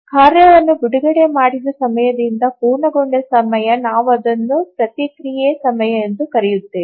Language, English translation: Kannada, So the time from release of the task to the completion time of the task, we call it as a response time